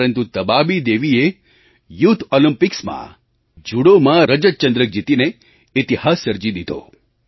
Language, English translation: Gujarati, But Tabaabi Devi created history by bagging the silver medal at the youth Olympics